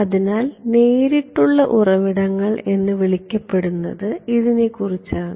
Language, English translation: Malayalam, So, this is about what are called direct sources